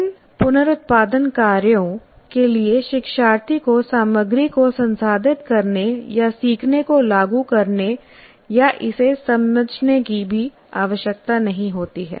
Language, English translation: Hindi, For example, these reproduction tasks do not require the learner to process the material or to apply the learning or even to understand it